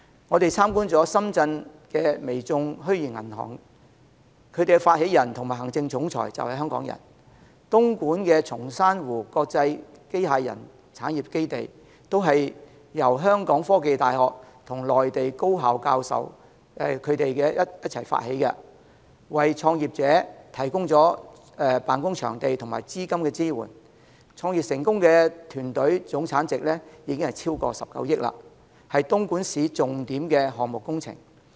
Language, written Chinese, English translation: Cantonese, 我們參觀了深圳的微眾虛擬銀行，其發起人及行政總裁便是香港人；東莞的松山湖國際機器人產業基地，便是由香港科技大學與內地高校教授們發起，為創業者提供辦公場地和資金支援，創業成功的團隊總產值已超過19億元，是東莞市的重點項目工程。, We visited the Weizhong Bank in Shenzhen which is an Internet - only bank initiated by a Hong Kong people who is also the CEO of the bank . And the Songshan Lake Xbot Park in Dongguan is developed by professors from The Hong Kong University of Science and Technology and Mainland tertiary institutions . The Xbot Park provides office space and capital supports for entrepreneurs